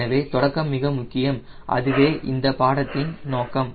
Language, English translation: Tamil, so beginning is extremely important and that is the purpose of this course